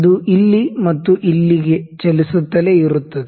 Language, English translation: Kannada, It would just keep on moving here and there